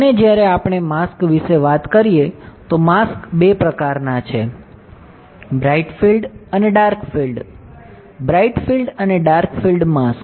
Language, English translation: Gujarati, And when we talk about mask masks are two types bright field and dark field; bright field and dark field mask right